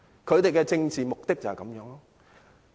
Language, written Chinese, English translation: Cantonese, 他們的政治目的就是這樣。, These are their political objectives